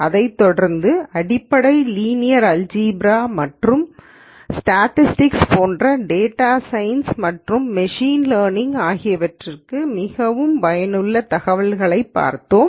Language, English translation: Tamil, We followed that up with lectures on fundamental ideas in linear algebra and statistics that are useful for data science and machine learning